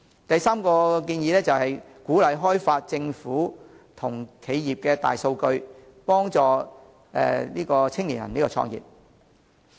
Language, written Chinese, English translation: Cantonese, 第三，鼓勵開放政府和企業大數據，幫助青年創業。, Third the opening up of big data of the Government and businesses should be encouraged to assist young people in starting up businesses